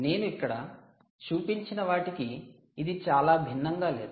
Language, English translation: Telugu, well, not very different from what we have shown here